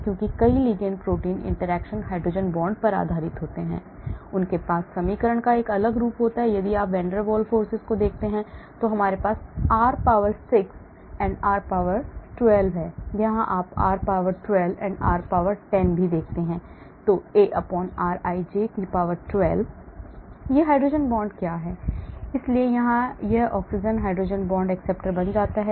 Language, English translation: Hindi, because many ligand protein interactions are based on hydrogen bond, they have a different form of equation, if you look at van der Waal, we have r power 6 and r power 12, , here you see r power 12 and r power 10, , A/rij 12 what is this hydrogen bond, so this oxygen here becomes hydrogen bond acceptor